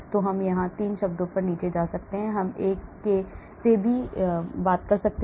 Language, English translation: Hindi, So we can go down to 3 terms here or we can stick to one also